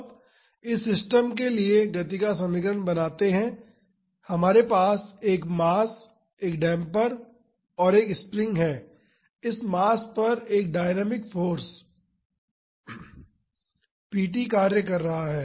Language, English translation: Hindi, Now, let us formulate the equation of motion of this system, we have a mass, a damper and a spring, a dynamic force p t is acting on this mass